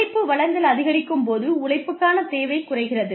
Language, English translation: Tamil, As the supply of labor increases, the demand for labor goes down